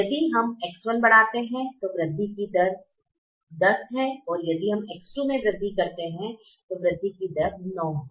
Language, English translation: Hindi, so if we increase x one, the rate of increase is ten and if we increase x two, the rate of increase is nine